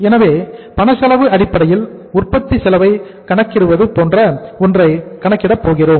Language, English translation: Tamil, So we are going to calculate something like say calculation of manufacturing uh cost on cash cost basis